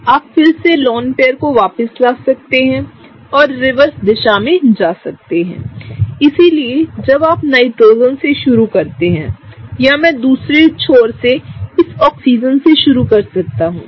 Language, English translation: Hindi, You can again bring back the lone pair of electrons and go in the reverse direction, so that’s when you start from the Nitrogen or I can start from this Oxygen from the other end